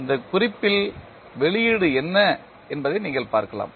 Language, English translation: Tamil, You can see what is the output at this note